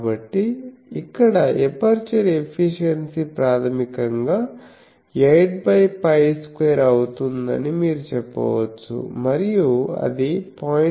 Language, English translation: Telugu, So, here you can say that aperture efficiency will be basically this 8 by pi square and that is 0